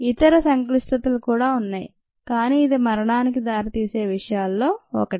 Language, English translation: Telugu, there are other ah complications also there, but this is one of the things that leads to death